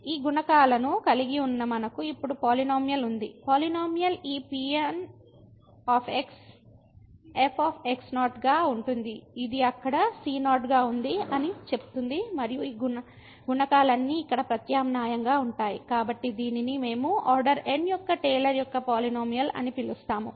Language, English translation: Telugu, So, having these coefficients now what we have we have the polynomial, the polynomial says that this will be which was there and all these coefficients are substituted here, so this is what we call the Taylor’s polynomial of order